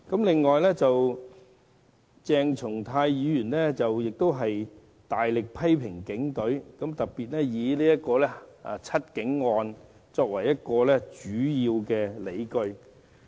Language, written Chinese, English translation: Cantonese, 此外，鄭松泰議員亦大力批評警隊，並提出"七警案"作為主要的理據。, Besides Dr CHENG Chung - tai has also criticized the Police Force very severely citing the seven cops as the major evidence